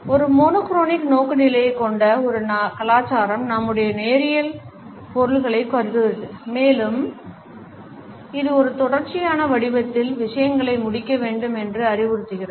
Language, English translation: Tamil, A culture which has a monochronic orientation assumes our linear order of things and it suggests that things have to be completed in a sequential pattern